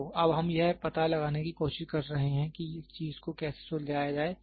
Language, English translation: Hindi, So, now, we are trying to find out how to sort out this thing